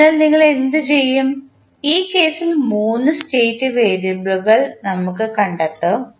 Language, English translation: Malayalam, So, what we will do, we will find 3 state variables in this case